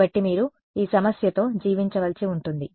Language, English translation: Telugu, So, that is why you have to live with this problem